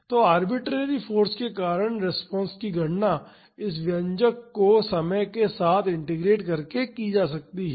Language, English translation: Hindi, So, the response due to this arbitrary force can be calculated by integrating this expression over time